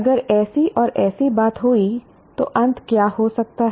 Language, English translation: Hindi, If such and such thing happened, what might the ending be